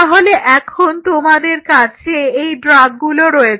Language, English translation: Bengali, So, you have these drugs now at your disposal